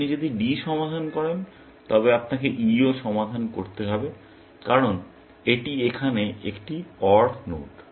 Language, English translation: Bengali, If you solve D, you have to also solve E; why because this is an AND node here